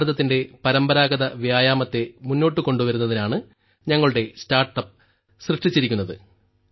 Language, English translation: Malayalam, Our startup has been created to bring forward the traditional exercises of India